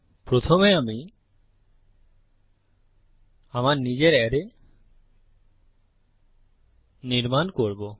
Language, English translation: Bengali, First I will create my own array